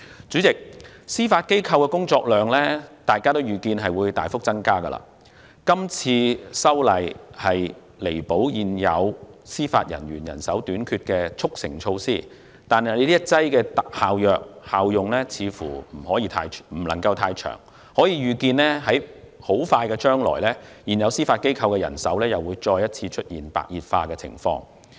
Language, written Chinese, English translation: Cantonese, 主席，大家預見司法機構的工作量會大幅增加，這次修訂是彌補現有司法人員人手短缺的速成措施，但這一劑特效藥的效用似乎不會太長，我們可以預見的是，在不久將來，現有司法機構的人手問題會再次出現白熱化情況。, President it can be foreseen that the workload of the Judiciary will substantially increase and this amendment is a fast - track measure to make up for the shortage of JJOs . However it seems that this specific medicine will not be effective for a long time and we can foresee that the manpower problem of the Judiciary will become serious again in the near future . The reason is that the social incident which has lasted for five months from June to October this year has resulted in the arrest of more than 3 300 people